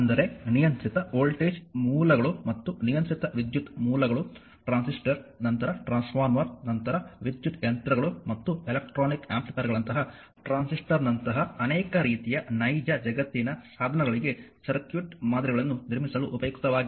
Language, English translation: Kannada, That means the controlled voltage sources and controlled current sources right are useful in constructing the circuit models for many types of real world devices such as your such as your transistor, just hold down such as your transistor, then your transformer, then electrical machines and electronic amplifiers right